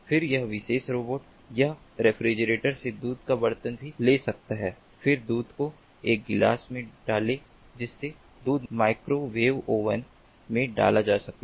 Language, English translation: Hindi, then this particular robot, it can even take a milk pot out of the refrigerator, then pour the milk into into a glass